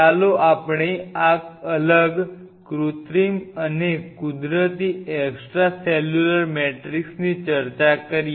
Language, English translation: Gujarati, Let us start our discussion with this different synthetic and natural extracellular matrix